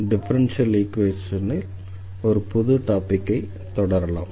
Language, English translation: Tamil, So, what is the differential equations